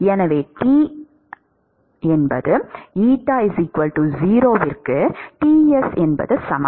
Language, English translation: Tamil, T at x is equal to 0, equal to Ts